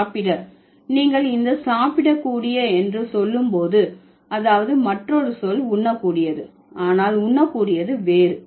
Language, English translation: Tamil, So, when you say this is eatable, that means the other word is edible but that edible is different